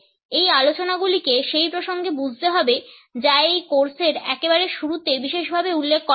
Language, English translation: Bengali, These discussions have to be understood in the context which has been specified in the very beginning of this course